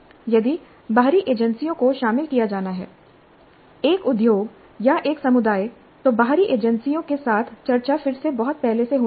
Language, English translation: Hindi, And if external agencies are to be involved, either an industry or a community, then the discussions with external agencies must happen again well in advance